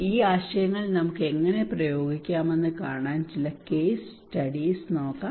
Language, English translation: Malayalam, Some of the case studies to see that how we can apply these ideas okay